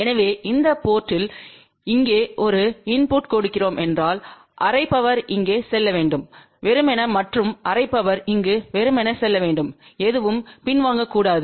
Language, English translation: Tamil, So, let us say if we are giving a input at this port here, then the half power should go here ideally and half power should go over here ideally and nothing should reflect back